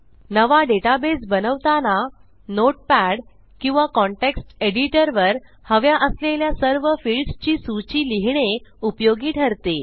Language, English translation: Marathi, When I create a new database, I open up a notepad or a context editor and note down all the fields that Ill use